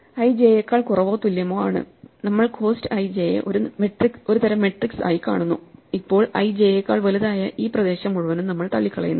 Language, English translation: Malayalam, So, i is less than or equal to j, and we look at cost i j as a kind of matrix then this whole area where i is greater than j is ruled out